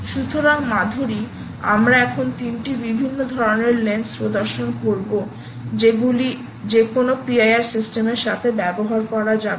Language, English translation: Bengali, so, madhiri, we will now demonstrate three different types of lenses that should be accompanied with any p i r system